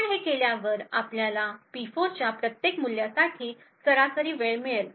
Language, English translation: Marathi, After we do this we find the average time for each value of P4